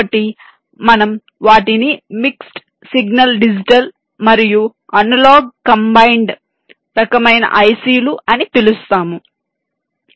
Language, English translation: Telugu, so we call them mix signal, digit digital, an analog combined kind of i c